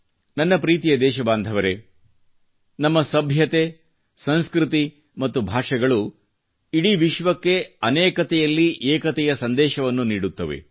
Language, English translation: Kannada, My dear countrymen, our civilization, culture and languages preach the message of unity in diversity to the entire world